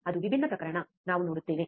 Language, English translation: Kannada, That is different case, we will see